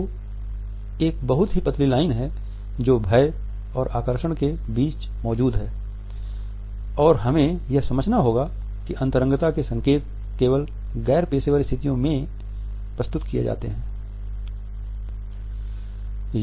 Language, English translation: Hindi, So, there is a very thin line which exist between intimidation and attraction and we have to understand that the connotations of the intimacy are passed on only in non professional situations